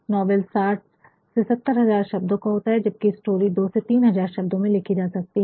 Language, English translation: Hindi, And, novel can be writteninaround 60,000 to70,000 words whereas, a short story can be written in 2,000, 3,000 sometimes 7,000 words like that